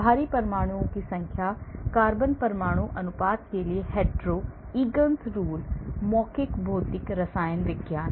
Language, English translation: Hindi, number of heavy atoms, hetero to carbon atom ratio, Egan's rule, oral physical chemistry